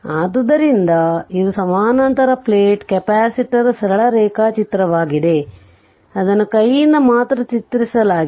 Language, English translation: Kannada, So, this is a parallel plate capacitor simple diagram, I have drawn it by hand only right